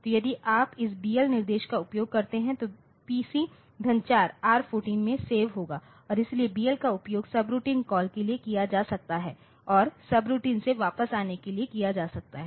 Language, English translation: Hindi, So, if you use this BL instruction this BL instruction will save PC plus 4 into this register R14 and so, BL can also so, this can be used for subroutine call and return for sub subroutine